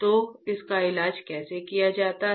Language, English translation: Hindi, So, how it is treated